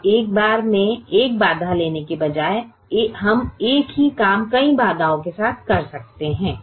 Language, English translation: Hindi, instead of taking one constraint at a time, can we do the same thing with multiple constraints